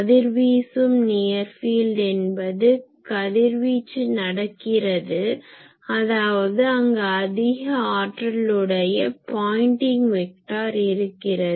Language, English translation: Tamil, Radiating near field is there radiation is taking place so, there the Pointing vector is having substantial power